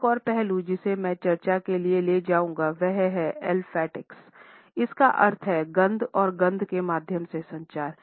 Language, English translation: Hindi, Another aspect which I would take up for discussion is olfactics which means communication through smell and scent